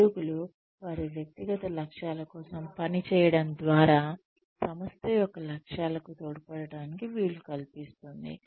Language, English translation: Telugu, Enables employees to contribute towards the aims of the organization, by working towards their individual goals